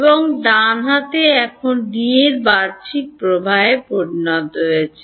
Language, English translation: Bengali, And the right hand side now has become the outward flux of D ok